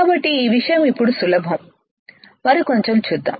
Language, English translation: Telugu, So, this thing is easy now, let us see further